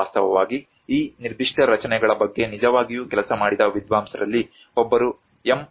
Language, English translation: Kannada, In fact, one of the scholar who actually worked on this particular structures M